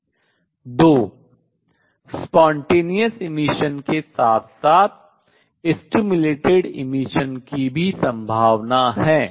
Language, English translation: Hindi, Two along with spontaneous emission there is a possibility of stimulated emission also